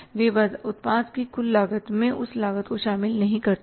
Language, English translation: Hindi, They don't include into that total costing of the product the fixed cost